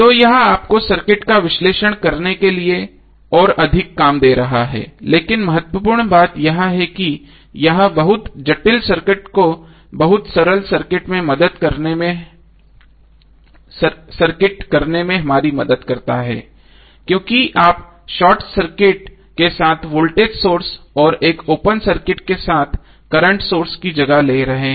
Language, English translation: Hindi, So this will be giving you more work to analyze the circuit but the important thing is that it helps us to reduce very complex circuit to very simple circuit because you are replacing the voltage source by short circuit and current source by open circuit